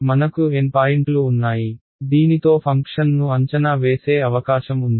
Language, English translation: Telugu, We have N points at which I have a possibility of evaluating my function ok